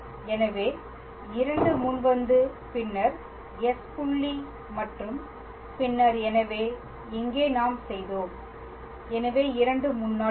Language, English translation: Tamil, So, 2 will come at the front and then s dot and then, so, here we had; so, 2 will come at, at the front